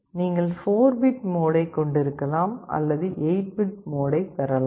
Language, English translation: Tamil, You can either have a 4 bit mode or you can have an 8 bit mode